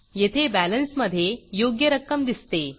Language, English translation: Marathi, This gives us the correct amount in the balance